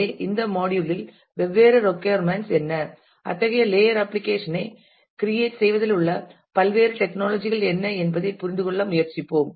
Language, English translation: Tamil, So, in this module we will try to understand as to how such what are the different requirements and what are the different technologies involved in creating such a layered application